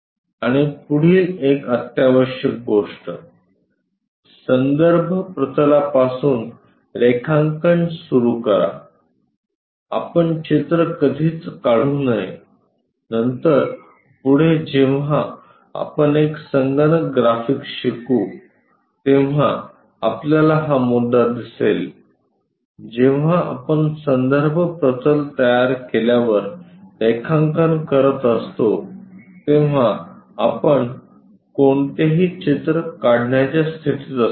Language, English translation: Marathi, And the next one essential thing; start drawing from the reference planes, we should never draw a picture later we will learn a computer graphics there we will clearly see this issue when we are drawing after constructing reference plane we will be in a position to draw any picture